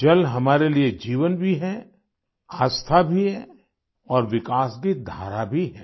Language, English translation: Hindi, For us, water is life; faith too and the flow of development as well